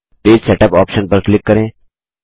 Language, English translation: Hindi, Click Page Setup option